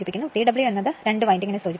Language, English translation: Malayalam, TW stands for two winding